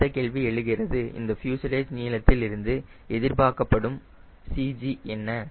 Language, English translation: Tamil, next question comes out of this fuselage length: where will be the expected cg